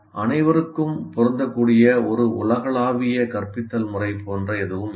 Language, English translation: Tamil, So there is nothing like a universal instructional method that is applicable to all